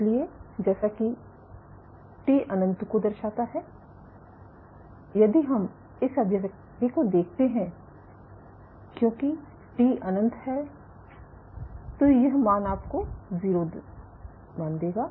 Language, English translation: Hindi, So, as t tends to infinity let us say if let us see this expression as t tends to infinity, this value will give you a value of 0